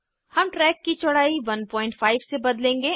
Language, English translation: Hindi, We will change the track width to 1.5